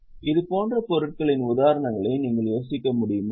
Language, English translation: Tamil, Do you think of any such examples